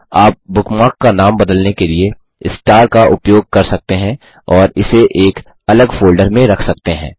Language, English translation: Hindi, You can also use the star to change the name of a bookmark and store it in a different folder